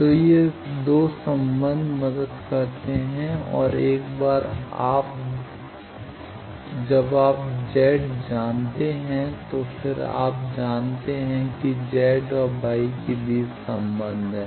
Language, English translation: Hindi, So, these 2 relation help and once you know Z you know there are relation between Z and Y